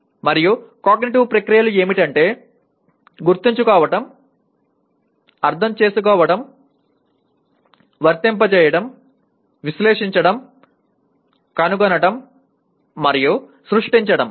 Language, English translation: Telugu, And cognitive processes are Remember, Understand, Apply, Analyze, Evaluate, and Create